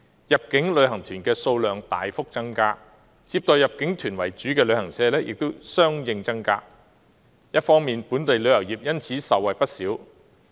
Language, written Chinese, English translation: Cantonese, 入境旅行團的數量大幅增加，接待入境團為主的旅行社亦相應增加，本地旅遊業因而受惠不少。, A significant increase in the number of inbound tours coupled with a corresponding increase in the number of travel agents to receive these groups have brought many benefits to the local tourism industry